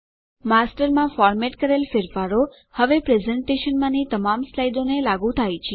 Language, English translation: Gujarati, The formatting changes made in the Master are applied to all the slides in the presentation now